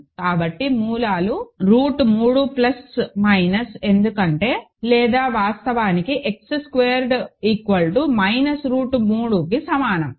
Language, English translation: Telugu, So, the roots are root 3 plus minus because or actually X squared equals to minus root 3